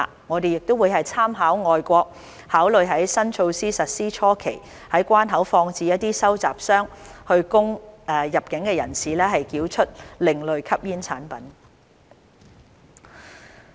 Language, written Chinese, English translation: Cantonese, 我們亦會參考外國做法，考慮在新措施實施初期在關口放置一些收集箱，以供入境人士繳出另類吸煙產品。, Taking into account overseas practices we will also consider placing some collection boxes at the boundary control points for incoming passengers to surrender ASPs during the initial stage of implementing the new measures